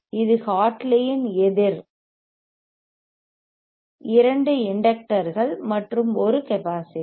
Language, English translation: Tamil, It is oopposite isn Hartley, one inductor two inductors and one capacitor right